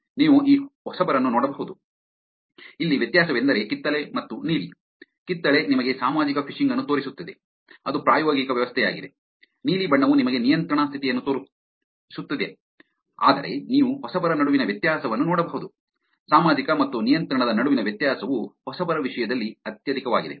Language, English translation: Kannada, You can see that freshman, the difference here is that the orange and the blue, the orange is showing you the social phishing which is the experimental setup; the blue is showing you the control condition, while you can see the difference between the freshman, difference between the social and the control is the highest in terms of freshman